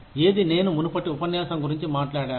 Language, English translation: Telugu, Which is what, I talked about, in the previous lecture